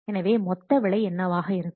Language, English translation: Tamil, So, then what will the total price